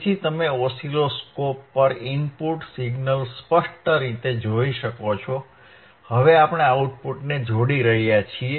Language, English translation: Gujarati, So, you can see clearly on oscilloscope the input signal, now we are connecting the output right